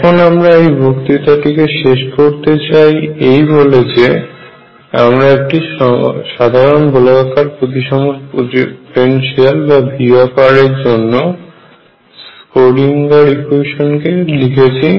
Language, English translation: Bengali, So, let me just now conclude this lecture by saying that we have return the Schrodinger equation for a general spherically symmetric potential V r